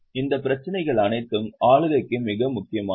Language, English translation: Tamil, All these issues are very important for governance